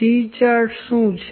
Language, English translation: Gujarati, What C charts